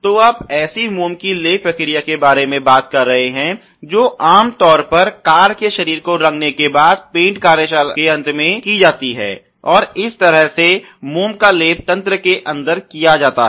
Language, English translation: Hindi, So, you are talking about such a waxing process which is typically done after the painting of the body car body is done typically at the end of the paint shop that this wax is somehow done in the system